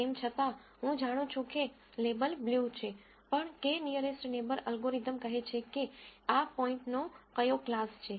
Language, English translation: Gujarati, Though I know the label is blue, what class would k nearest neighbor algorithm say this point belongs to